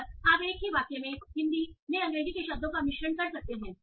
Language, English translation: Hindi, And you might mix words of English and Hindi in the same sentence